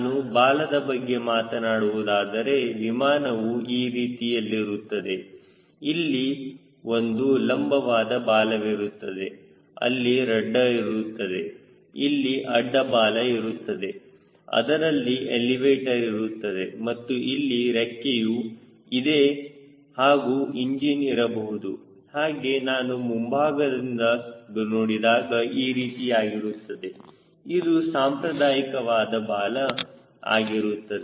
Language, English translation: Kannada, if you see, for a conventional tail, the airplane will be like this: there is a vertical tail, there is a radar, there is horizontal tail, there is an elevator and there is a wing and may be engine here and if i see the long preview, it will be look like this